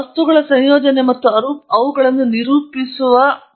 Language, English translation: Kannada, Then synthesizing materials and characterizing them